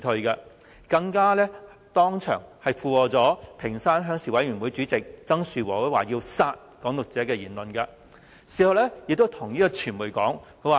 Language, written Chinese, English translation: Cantonese, 何君堯議員更當場附和屏山鄉事委員會主席曾樹和先生的言論，表示要殺"港獨"者。, In addition Dr HO echoed the speech of Mr TSANG Shu - wo Chairman of the Ping Shan Rural Committee who suggested the killing of Hong Kong independence advocates right at the scene of the rally